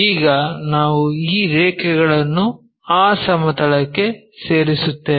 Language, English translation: Kannada, Now, join these lines onto that plane